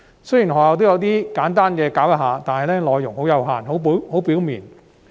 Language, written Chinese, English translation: Cantonese, 雖然學校也有作簡單教授，但內容很有限及流於表面。, Although schools might give a simple explanation on this topic the content was very limited and superficial